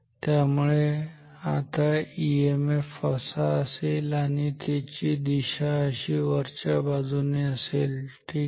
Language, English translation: Marathi, So, the EMF will be in this direction, so this is the direction of the EMF ok